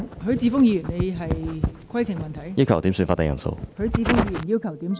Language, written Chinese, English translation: Cantonese, 許智峯議員要求點算法定人數。, Mr HUI Chi - fung has requested a headcount